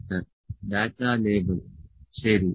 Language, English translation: Malayalam, 28 data label, ok